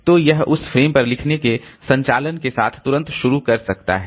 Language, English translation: Hindi, So, it can start with, it can start immediately with the write operation onto that particular frame